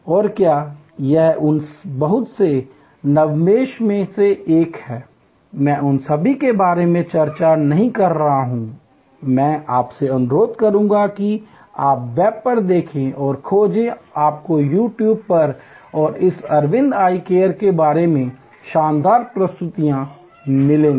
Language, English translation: Hindi, And did it many of those many very innovatively, I am not discussing all of those, I would request you to look on the web and search you will find great presentations on You Tube and about this Aravind Eye Care